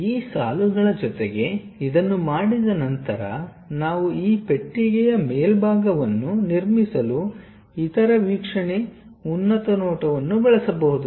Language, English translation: Kannada, Along with these lines, once it is done we can use the other view top view to construct top side of this box